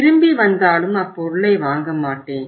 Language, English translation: Tamil, They come back and they do not purchase the item